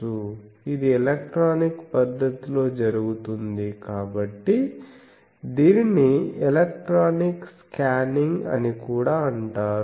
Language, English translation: Telugu, So, since this is done electronically, it is also called electronic scanning